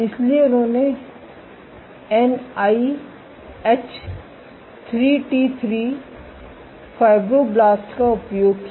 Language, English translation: Hindi, So, they used NIH 3T3 fibroblasts